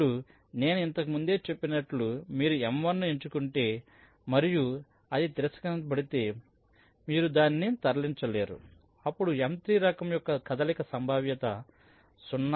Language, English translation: Telugu, now, as i said earlier that if you select m one and if it is rejected that means you cannot move it, then a move of type m three is done with probability point one, ten percent probability